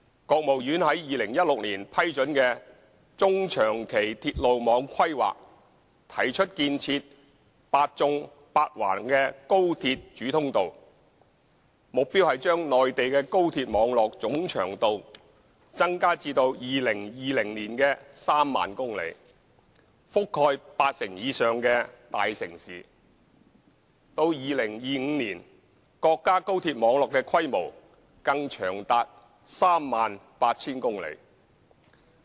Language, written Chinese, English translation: Cantonese, 國務院於2016年批准的《中長期鐵路網規劃》，提出建設"八縱八橫"的高鐵主通道，目標是把內地的高鐵網絡總長度增加至2020年的 30,000 公里，覆蓋八成以上的大城市；到年，國家高鐵網絡規模更長達 38,000 公里。, The Medium and Long - term Railway Network Plan approved by the State Council in 2016 proposed the construction of high - speed rail main lines based on the Eight Verticals and Eight Horizontals layout . The target is to increase the total length of the high - speed rail network on the Mainland to 30 000 km in 2020 covering more than 80 % of the major cities; and even to 38 000 km by 2025